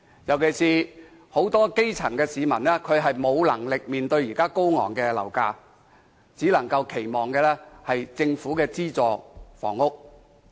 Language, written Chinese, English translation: Cantonese, 現時，很多基層市民沒有能力負擔高昂的樓價，只能期望入住政府的資助房屋。, At present many grass - root citizens who cannot afford high housing prices rest their hope on subsidized government housing